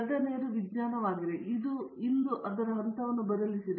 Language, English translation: Kannada, Second thing is science itself, today has changed its phase